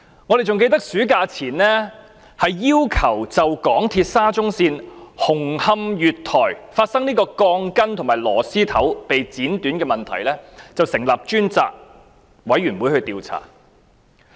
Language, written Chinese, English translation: Cantonese, 還記得在暑假前，我們曾要求就香港鐵路有限公司沙中線紅磡月台發生鋼筋和螺絲頭被剪斷的問題成立專責委員會進行調查。, I still recall that before the Summer recess we called for the setting up of a select committee to investigate the problem of reinforcement steel bars and couplers being cut at the platform of Hung Hom Station of SCL of the MTR Corporation Limited MTRCL